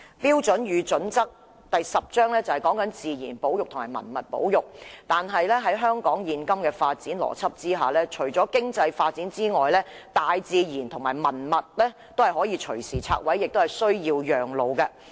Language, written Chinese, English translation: Cantonese, 《規劃標準》的第十章是關於自然保育和文物保護的，但在香港現今的發展邏輯下，除經濟發展外，大自然和文物皆可以隨時拆毀，亦有需要讓路。, Chapter 10 of HKPSG is about nature conservation and heritage conservation but under the existing development logic nature and heritage can be destroyed anytime to give way to economic development